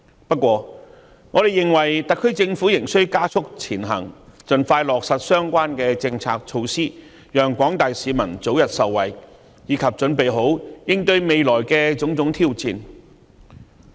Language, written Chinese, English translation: Cantonese, 不過，我們認為特區政府仍須加速前行，盡快落實相關政策措施，讓廣大市民早日受惠，以及為應對未來的種種挑戰做好準備。, Having said that we think that the Government of the Hong Kong Special Administrative Region SAR still needs to speed up its work to expeditiously implement these policy measures so as to benefit the general public early and make proper preparations for the various challenges ahead